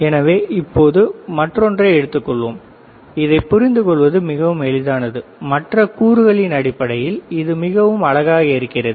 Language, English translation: Tamil, So now let us take the another one this beautiful it is very easy to understand, and this looks extremely beautiful in terms of other components